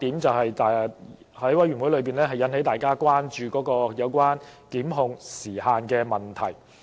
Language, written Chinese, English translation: Cantonese, 在法案委員會內引起大家關注的另一點，就是有關檢控時限的問題。, Time limit for prosecution is another issue which has drawn the concern of the Bills Committee